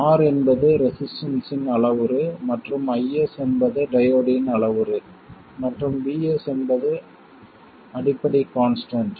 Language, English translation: Tamil, R is a parameter of the resistor and IS is a parameter of the diode and VT is a fundamental constant